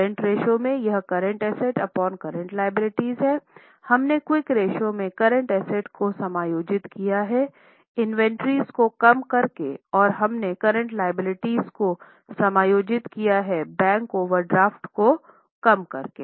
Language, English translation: Hindi, In quick ratio we have adjusted the current assets by reducing inventories and we have adjusted the current assets by reducing inventories and we have adjusted current liabilities by reducing bank overdraft